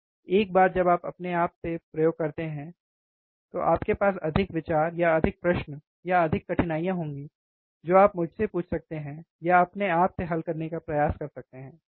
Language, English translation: Hindi, Once you perform the experiment by yourself, you will have more idea, or more questions, or more difficulties that you can ask to me, or try to solve by yourself, right